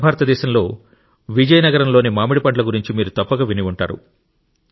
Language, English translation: Telugu, You must definitely have heard about the mangoes of Vizianagaram in South India